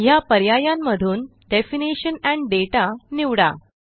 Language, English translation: Marathi, In the options, we will click on Definition and Data